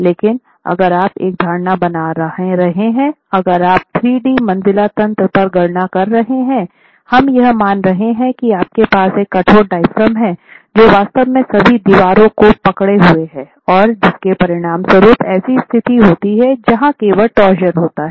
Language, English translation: Hindi, But if you are making an assumption of, if you are making calculations on a 3D story mechanism, we are assuming that you have a rigid diaphragm that is actually holding all the walls together and resulting in torsion or a situation where there is only translation and no torsion